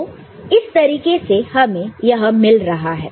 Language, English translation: Hindi, So, this is the way you are getting it